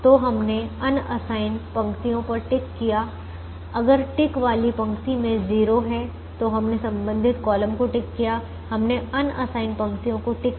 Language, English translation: Hindi, if there is a zero in a ticked row, then we ticked the corresponding column, we ticked the unassigned rows